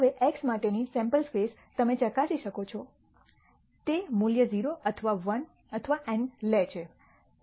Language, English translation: Gujarati, Now the sample space for x, you can verify goes from takes the value 0 or 1 or n